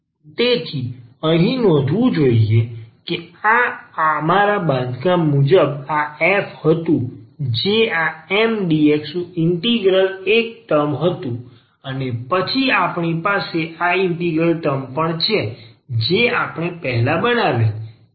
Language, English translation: Gujarati, So, just to note again that this was the f as per our construction the integral of this Mdx was one term and then we have also this integral term this is f which we have just constructed before